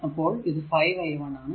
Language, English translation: Malayalam, So, it will be 2 into i